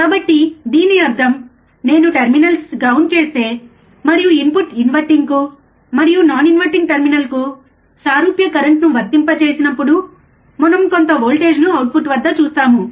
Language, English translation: Telugu, So that means, that if I ground by the terminals, I will see some voltage at the output, even when we apply similar currents to the input terminals inverting and non inverting terminals